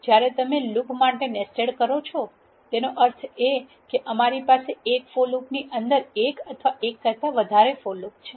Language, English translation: Gujarati, When you say nested for loop it means we have one or more for loop constructs that are located within another for loop